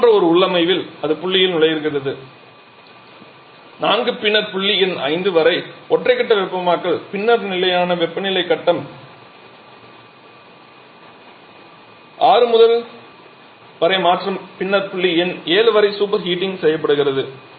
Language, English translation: Tamil, In the configuration like this it is entering at point 4 then single phase heating up to point number 5 then constant temperature phase change up to 6 and then super heating down up to point number 7